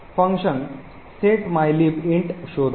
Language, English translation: Marathi, entries for mylib int